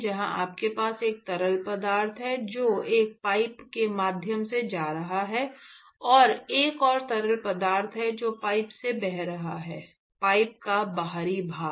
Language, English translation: Hindi, Where you have a fluid, which is going through a pipe, and there is another fluid which is flowing past the pipe – the exterior of the pipe